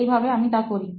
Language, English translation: Bengali, That is how I am doing